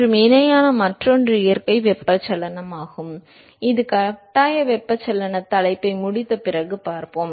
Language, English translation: Tamil, And the other one parallel is the natural convection, which we will see after completing the forced convection topic